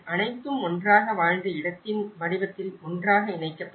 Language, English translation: Tamil, All will put together in a form of a lived space